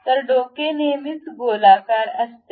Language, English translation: Marathi, So, head always be a circular one